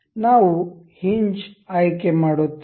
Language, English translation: Kannada, We will select hinge